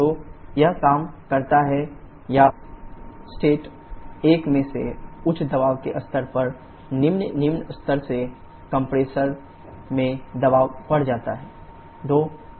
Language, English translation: Hindi, So, it works or the pressure increase in the compressor from this low pressure level at state 1 to high pressure level at state 2